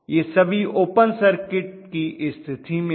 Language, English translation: Hindi, Then it is all open circuit condition